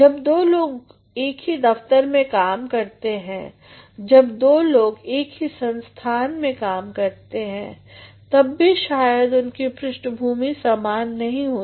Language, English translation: Hindi, Even two people working in the same organization, two friends working in the same institution may not be having the same background